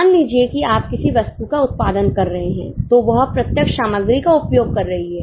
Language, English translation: Hindi, Suppose you are producing some item, it is consuming direct material